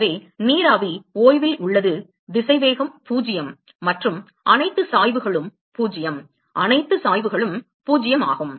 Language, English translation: Tamil, So, vapor is at rest the velocity is 0 and also all the gradients are 0 all gradients are 0